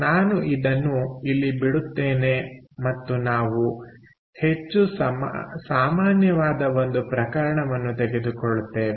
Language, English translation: Kannada, ok, so i will leave it here and we will take up a more generic case